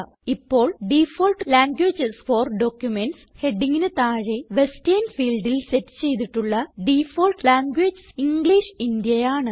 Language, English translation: Malayalam, Now under the heading Default languages for documents, the default language set in the Western field is English India